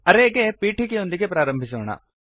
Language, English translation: Kannada, Let us start with the introduction to Array